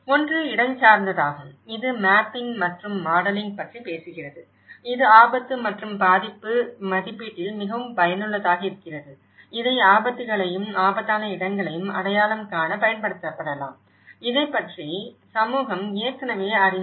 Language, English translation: Tamil, One is the spatial, which is talking about the mapping and modelling, this is very useful in risk and vulnerability assessment, it can be used to identify hazards and dangerous locations, what community already know about this